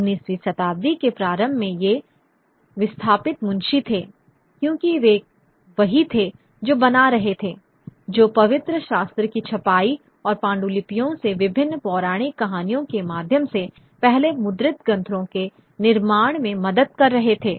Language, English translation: Hindi, In the early 19th century, these were the displaced scribes, you know, because they were the ones who were making, who were helping the formation of the first printed texts through the printing of the scriptures and various mythological stories from the manuscript